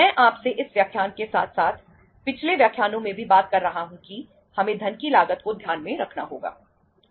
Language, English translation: Hindi, I have been talking to you in this lecture as well as in the previous lectures also that we have to keep the cost of funds in mind